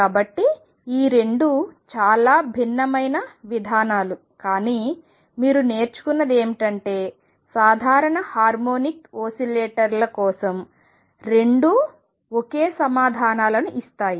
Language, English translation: Telugu, So, these 2 are very different approaches, but what you learnt is that for simple harmonic oscillators both give the same answers